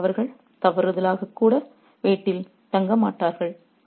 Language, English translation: Tamil, Now, they won't stay at home even by mistake